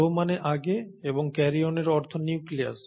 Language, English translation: Bengali, Pro means before, and karyon means nucleus